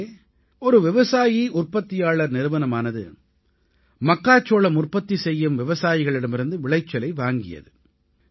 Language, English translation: Tamil, There, one farmer producer company procured corn from the corn producing harvesters